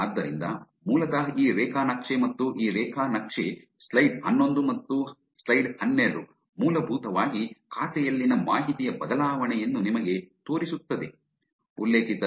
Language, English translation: Kannada, That just shows, so basically this graph on this graph, the slide 11 and slide 12 is basically showing you the change in information in the account